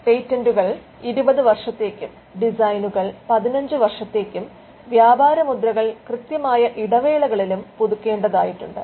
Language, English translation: Malayalam, Patent patents are kept for 20 years designs for 15 years trademarks have to be kept renewed at regular intervals